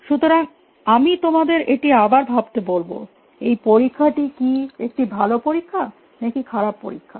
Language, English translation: Bengali, So, I will again leave it you to think about this; is it a good test or bad test